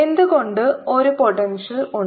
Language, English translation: Malayalam, why is there a potential